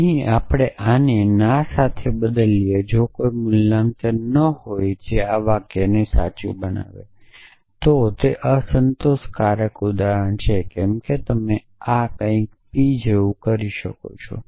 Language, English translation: Gujarati, Here, we replace this with no if there is no valuation which makes this sentence true, then it is unsatisfiable example as you can this something like p and not p essentially